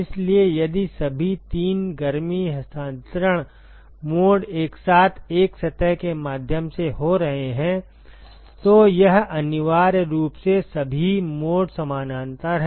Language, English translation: Hindi, So, if all three heat transfer modes are occurring simultaneously through a surface, then it is essentially all modes are in parallel